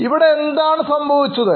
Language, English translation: Malayalam, What's really happening here